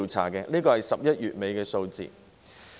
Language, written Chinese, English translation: Cantonese, 這是截至11月底的數字。, These are the figures as of late November